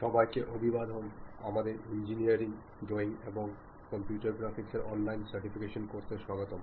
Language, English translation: Bengali, ) Hello everyone, welcome to our online certification courses on Engineering Drawing and Computer Graphics